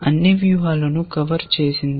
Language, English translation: Telugu, Because we want to cover all strategies